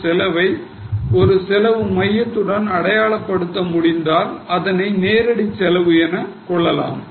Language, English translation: Tamil, If we can identify a cost to a cost centre, we can consider it as a direct cost